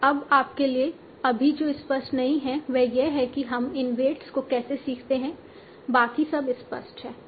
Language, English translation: Hindi, What is not clear to you right now is how do we learn these weights